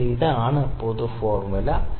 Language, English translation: Malayalam, Or this is the general formula